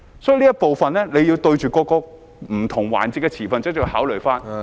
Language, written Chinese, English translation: Cantonese, 所以，這部分，政府要就着不同環節的持份者加以考慮......, Therefore in this regard the Government has to take into account the stakeholders in different roles